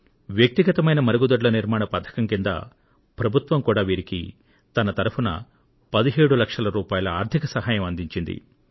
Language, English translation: Telugu, Now, to construct these household toilets, the government gives financial assistance, under which, they were provided a sum of 17 lakh rupees